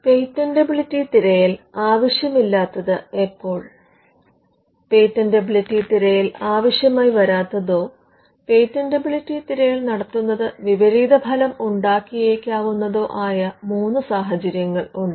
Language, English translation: Malayalam, When a patentability search is not needed there are at least three cases, where you will not need a patentability search or rather doing a patentability search would be counterproductive